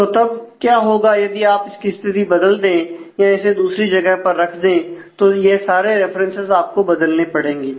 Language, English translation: Hindi, So, what will happen is if you change the position of the record if you relocate the record, then all these references will have to be updated